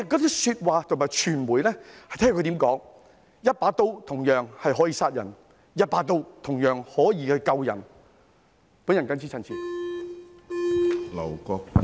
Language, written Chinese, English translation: Cantonese, 這些說話要視乎傳媒如何表達，相同的一把刀可以殺人，也可以救人。, It all depends on how the media presents the narrative for the same knife can either kill or save people